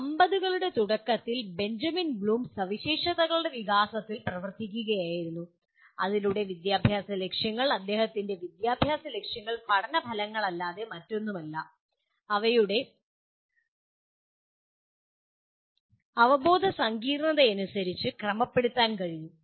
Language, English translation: Malayalam, Benjamin Bloom was working in early ‘50s on the development of specifications through which educational objectives, his educational objectives are nothing but learning outcomes, could be organized according to their cognitive complexity